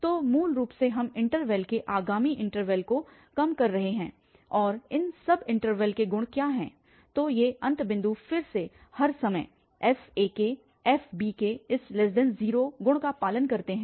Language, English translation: Hindi, So, basically we are narrowing down the interval subsequent interval and what is the property of these intervals so these end points again every time this property is fulfilled that f ak bk f bk is less than 0